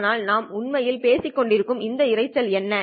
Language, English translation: Tamil, But what are this noise that we have been actually talking about